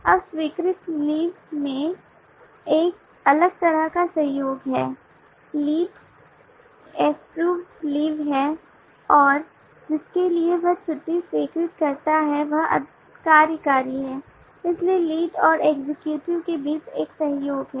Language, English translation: Hindi, now there is a different kind of collaboration in the approve leave is the lead approve leave and for whom does he approve the leave is the executive so there is a collaboration between the lead and the executive